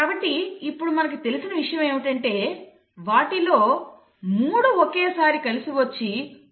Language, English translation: Telugu, So what we know now is that actually there are 3 of them who come together at a time and then they code for a word